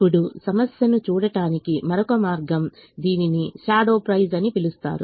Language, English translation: Telugu, now another way of looking at the problem: it's called shadow price because of this